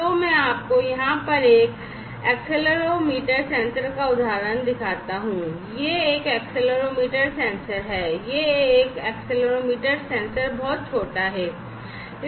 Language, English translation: Hindi, So, let me show you the example of an accelerometer sensor over here, this is an accelerometer sensor; this is an accelerometer sensor it is little small